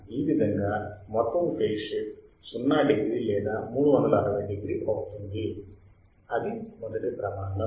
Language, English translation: Telugu, Total phase shift should be 0 degree or 360 degree that is the first criteria